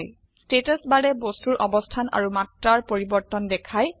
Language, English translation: Assamese, The Status bar shows the change in position and dimension of the object